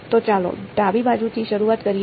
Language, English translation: Gujarati, So, let us start with the left hand side